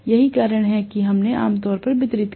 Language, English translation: Hindi, That is the reason why generally we distributed right